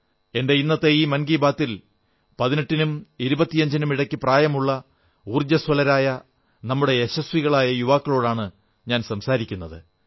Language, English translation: Malayalam, And today, in this edition of Mann Ki Baat, I wish to speak to our successful young men & women between 18 & 25, all infused with energy and resolve